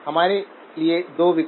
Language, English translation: Hindi, Two options for us